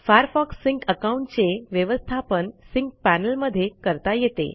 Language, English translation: Marathi, The Sync panel lets you set up or manage a Firefox Sync account